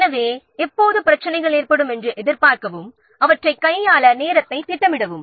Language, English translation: Tamil, So always expect that problems to occur and plan time to handle them